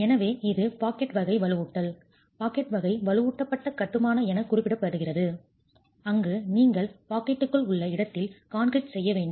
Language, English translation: Tamil, So, it is referred to as pocket type reinforcement, pocket type reinforced masonry where you then have to do in situ concreting within the pocket